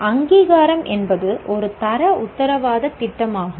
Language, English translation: Tamil, Accreditation is a quality assurance scheme